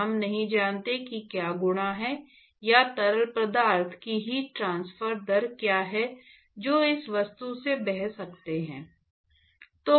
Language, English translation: Hindi, And we do not know what is the what are the properties, or what are the heat transfer rate, etcetera of the fluid which may be flowing past this object